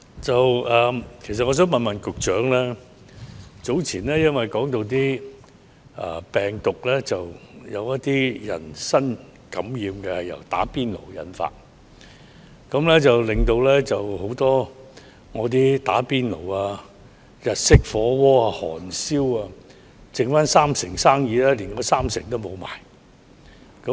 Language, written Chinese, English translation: Cantonese, 主席，早前因有人指"打邊爐"引致某些人感染病毒，以致很多只剩三成生意的"打邊爐"、日式火鍋、韓燒等食肆連那三成生意也沒有。, President after it was recently reported that some people were infected with coronavirus after having hot pot meals many restaurants serving hot pot Japanese Shabu Shabu and Korean barbeque have lost the remaining 30 % of businesses